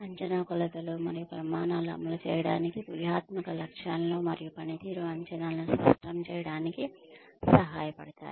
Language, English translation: Telugu, Appraisal dimensions and standards can help to implement, strategic goals and clarify performance expectations